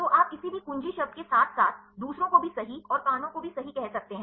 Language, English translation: Hindi, So, you can said to the any of the key words as well as the others right and the ears right